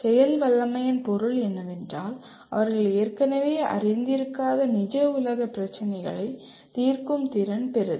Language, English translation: Tamil, Capable means they are capable of solving real world problems that they are not already familiar with